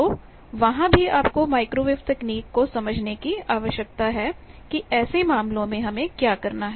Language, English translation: Hindi, So, there also you need to understand microwave technology that in such cases, what to do